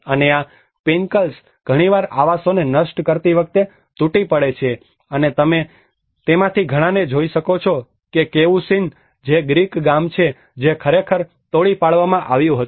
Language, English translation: Gujarati, And these pinnacles often collapse destroying the dwellings and you can see many of those have the Cavusin which is a Greek village which has actually been demolished